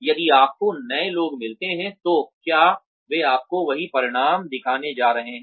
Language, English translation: Hindi, If you get new people, are they going to show you the same results